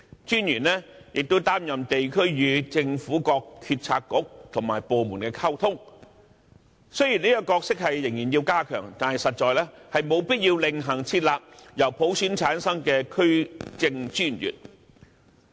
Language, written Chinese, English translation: Cantonese, 專員更負責地區與政府各政策局和部門溝通的工作，雖然這角色仍要加強，但實在沒有必要另行設立由普選產生的區政專員。, District Officers are even made responsible for communication between the districts and various Policy Bureaux and departments . Although this role still needs enhancement it is indeed unnecessary to introduce District Commissioners to be returned by election of universal suffrage